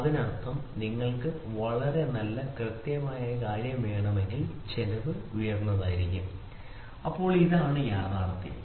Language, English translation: Malayalam, So; that means, to say if you want to have very good accurate thing then the cost is going to be high, ok, this is what is the reality